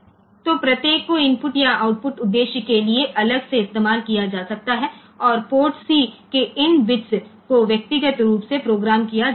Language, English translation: Hindi, So, each can be used separately for input or output purpose and, these bits of port C they can be programmed individually